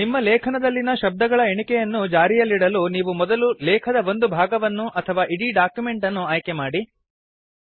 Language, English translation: Kannada, For maintaining a word count in your article, first select a portion of your text or the entire document